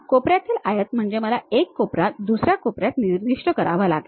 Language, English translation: Marathi, Corner rectangle means I have to specify one corner to other corner